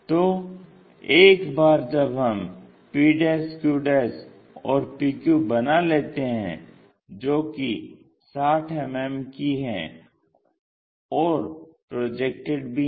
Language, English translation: Hindi, So, once we are done with p' q' and p q which is also 60, the projected ones